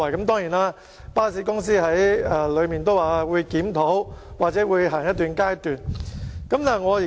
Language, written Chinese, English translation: Cantonese, 當然，巴士公司已表示會進行檢討，或試行一段時間。, Certainly the bus company has already undertaken to conduct a review or will try out the arrangement for a certain period of time